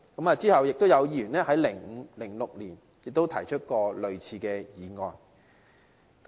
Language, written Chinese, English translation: Cantonese, 其後，有議員在2005年至2006年也提出過類似議案。, After that similar motions were also proposed by Members in 2005 - 2006